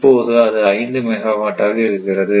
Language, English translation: Tamil, So, it is 5 megawatt